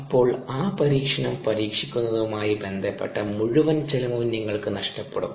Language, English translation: Malayalam, then you would have lost the entire ah cost associated with trying out the experiment